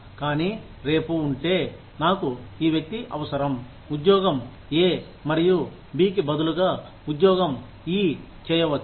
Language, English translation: Telugu, But, tomorrow, if I need this person to, maybe do job E, instead of job A and B